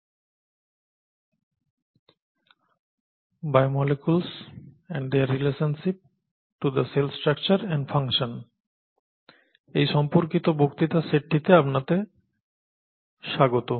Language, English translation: Bengali, Welcome to this set of lectures on “Biomolecules and their relationship to the Cell Structure and Function”, which are important aspects